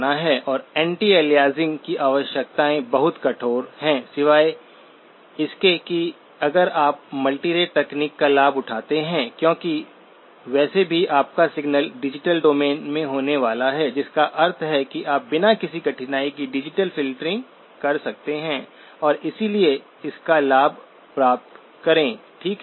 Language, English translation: Hindi, And the requirements of anti aliasing are quite stringent except if you take advantage of a multirate technique because anyway your signal is going to be in the digital domain which means that you can do digital filtering without much difficulty and therefore, get an advantage of that, okay